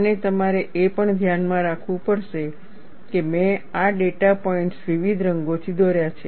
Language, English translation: Gujarati, And you will have also have to keep in mind, that I have drawn these data points with different colors